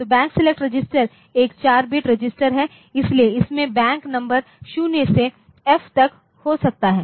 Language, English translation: Hindi, So, Bank select register is a 4 bit register so, it can contain the Bank number 0 to F